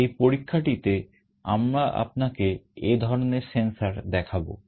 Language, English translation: Bengali, In the experiment we will be showing you this kind of a sensor